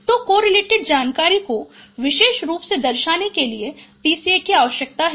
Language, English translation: Hindi, So, PCA is required to highlight the decorrelated information